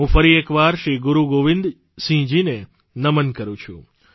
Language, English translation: Gujarati, I once again bow paying my obeisance to Shri Guru Gobind Singh ji